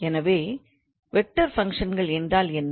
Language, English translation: Tamil, So what do we mean by vector functions